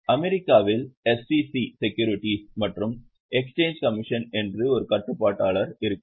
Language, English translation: Tamil, In US, there is a regulator called SEC, SEC, Securities and Exchange Commission